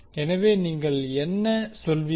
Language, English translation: Tamil, So, what you can say